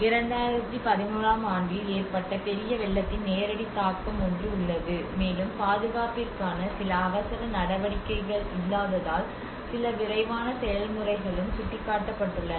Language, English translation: Tamil, So one is there is a direct impact of the major flooding in 2011which, and there has been lack of some emergency measures for conservation as well because there is a also some rush process indicated